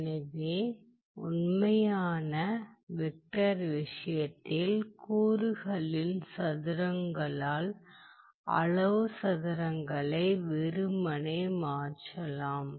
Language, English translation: Tamil, For real number, you can simply replace the magnitude square by the square of the element